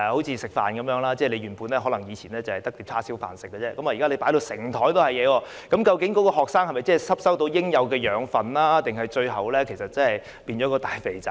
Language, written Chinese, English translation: Cantonese, 正如吃飯一樣，原本以往只有叉燒飯可吃，現滿桌子不同的食物，究竟學生能否吸收到應有的養分，還是最後變成大胖子呢？, In the analogy with a meal while there was only barbecued pork to eat in the past now the table is full of different dishes so will the students absorb the nutrients they need or eventually become fatties?